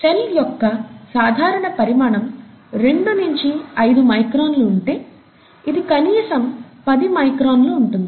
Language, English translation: Telugu, Typical sizes, about two to five microns this is about ten microns